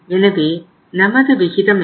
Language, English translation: Tamil, So it means what was our ratio